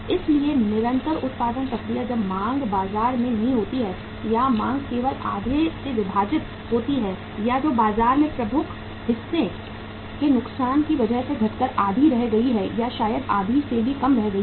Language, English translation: Hindi, So continuous production process when the demand is not there in the market or the demand had just say say been divided by half or that has just remained come down to half or maybe little more than half because of the loss of the major chunk of the market